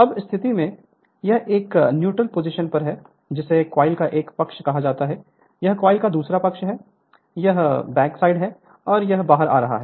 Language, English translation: Hindi, Now, at this position we will find so you can say it is a neutral position at that time this is called one side of the coil, this is other side of the coil, this is the back side, and this is your it is coming out